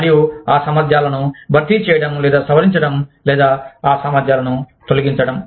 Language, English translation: Telugu, And, replacing or modifying those competencies, or the eliminating those competencies